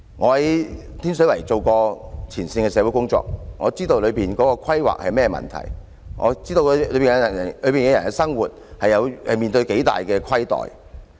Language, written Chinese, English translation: Cantonese, 我在天水圍做過前線社會工作，了解當中的規劃出了甚麼問題，知道當區居民在生活上受到多大的虧待。, Having worked as a frontline social worker in Tin Shui Wai I understand what is wrong with the planning and how much the residents in the district are suffering in life